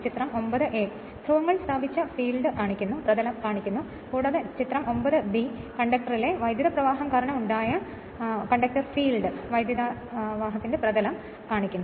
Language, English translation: Malayalam, Figure 9 a shows the field set up by the poles, and figure 9 b shows the conductor field due to flow of current in the conductor